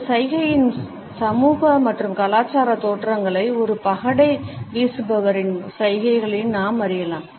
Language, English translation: Tamil, We can trace the social and cultural origins of this gesture in the gestures of a dice thrower